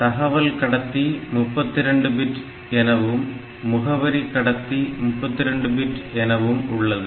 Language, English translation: Tamil, So, address bus is 32 bit here and data bus is 32 bit here